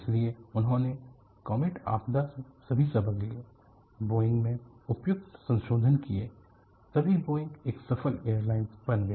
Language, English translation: Hindi, So, they took all the lessons from the Comet disaster; made suitable modifications in the Boeing; then Boeingbecome a successful airliner